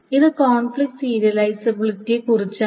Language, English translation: Malayalam, Now, this is about conflict serializability